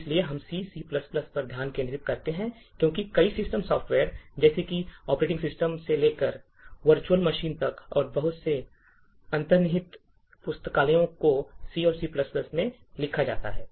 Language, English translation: Hindi, So, why we focus on C and C++ is due to the fact that many systems software such as starting from operating systems to virtual machines and lot of the underlying libraries are written in C and C++